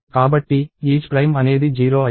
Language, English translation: Telugu, So, isPrime become 0